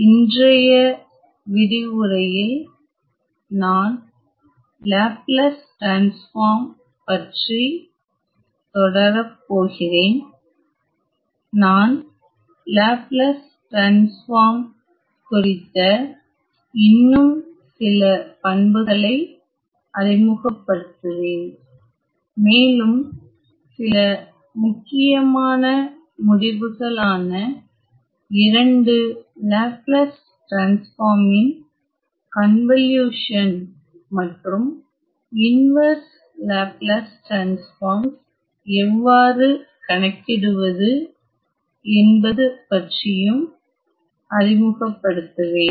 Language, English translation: Tamil, So, in today’s lecture I am going to continue my discussion on Laplace transform especially I will introduce some more properties, as well as few important results including the convolution of two Laplace transforms, as well as how to evaluate the inverse transform of the Laplace transform